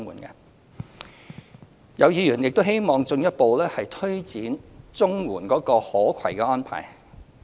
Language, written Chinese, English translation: Cantonese, 有議員亦希望政府進一步推展綜援的可攜安排。, Some Members hope the Government will further expand the portability arrangement for CSSA